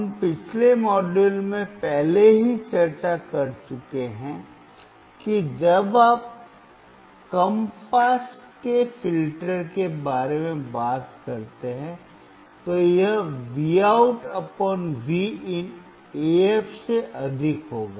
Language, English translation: Hindi, We have already discussed in the last module, that when you talk about low pass filter, this would be Vout / Vin would be greater than AF